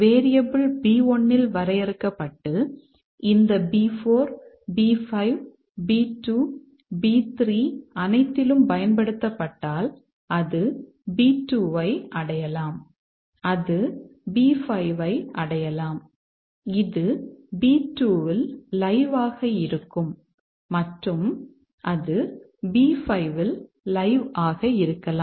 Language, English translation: Tamil, So, we have B1 to if the variable is defined in B1 and used in all these B 4, B5, B2, B3, so it can reach B2, it can reach B5, it can reach B5, it can be live at B2 and it can be live at B5